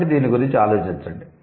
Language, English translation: Telugu, So think about it